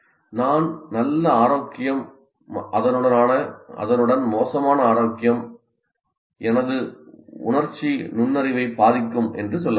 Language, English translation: Tamil, I can also say better health as well as bad health will also influence my emotional intelligence